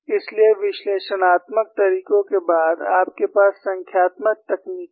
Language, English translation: Hindi, So, after analytical methods, you have numerical techniques